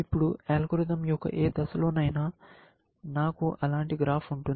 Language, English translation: Telugu, Now, at any stage of the algorithm, I will have a graph which looks like that, essentially